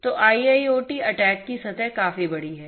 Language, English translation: Hindi, So, IIoT attack surface is quite big